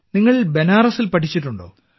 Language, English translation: Malayalam, You have studied in Banaras